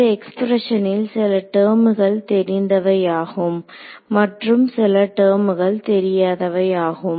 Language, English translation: Tamil, Now, in these expressions there are terms that are known and there are terms that are not known